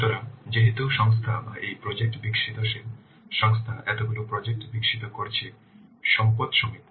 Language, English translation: Bengali, So, since the organization or this project development developing organization is developing so many projects, but the resources are limited